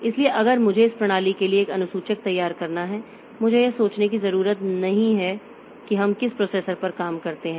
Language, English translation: Hindi, So, if I have to design a scheduler for this system, so I don't have to think like which processor a particular task be put into